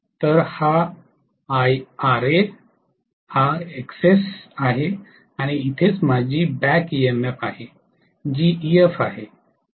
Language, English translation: Marathi, So this is Ra, this is Xs and here is where my back EMF is, which is Ef